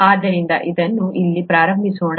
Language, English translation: Kannada, So this, let us start here